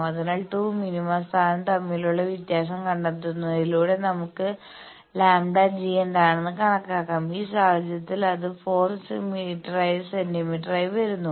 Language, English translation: Malayalam, So, we can find out by finding the difference between 2 minima position we can calculate what is the lambda g in this case it is coming out to be 4 centimeter